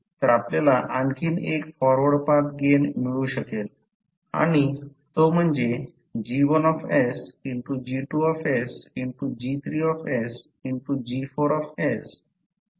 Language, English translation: Marathi, So you get another forward path gain that is G1s into G2s into G3s into G4s into G6s into G7s